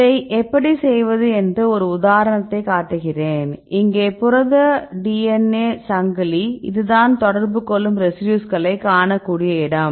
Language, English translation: Tamil, How to do this now I show one example, here is this is the protein DNA chain this is the place where we can see the interacting residues right